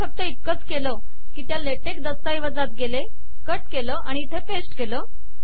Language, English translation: Marathi, All that I have done is, I went to that latex document, cut and pasted it here, thats all